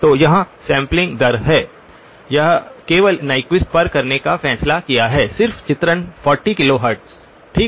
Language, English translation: Hindi, So here is the sampling rate, decided to do it exactly at Nyquist just for illustration 40 kilohertz okay